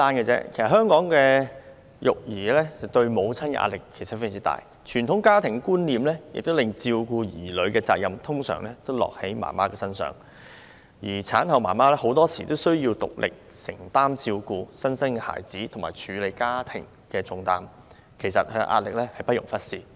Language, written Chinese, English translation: Cantonese, 在香港，育兒對母親構成很大壓力，傳統家庭觀念令照顧兒女的責任通常落在母親身上，而很多時候，產後母親須獨力承擔照顧新生嬰兒和處理家務的重擔，壓力之大，不容忽視。, Parenting is stressful for mothers in Hong Kong because the responsibility of caring for children usually falls on them due to traditional family values . In many cases the postpartum mother has to single - handedly shoulder the heavy burden of caring for the newborn baby and doing housework . Their stress is too great to be ignored